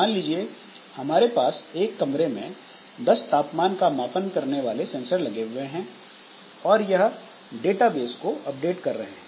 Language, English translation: Hindi, So, maybe it is like that that we just, we have got say 10 sensors sensing the temperature of the room and updating some database